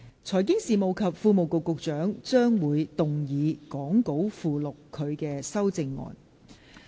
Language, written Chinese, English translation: Cantonese, 財經事務及庫務局局長將會動議講稿附錄他的修正案。, The Secretary for Financial Services and the Treasury will move his amendments as set out in the Appendix to the Script